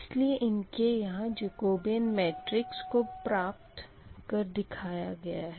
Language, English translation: Hindi, this way, this way, the jacobian matrix will forms